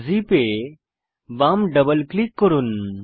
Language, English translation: Bengali, Left double click on the zip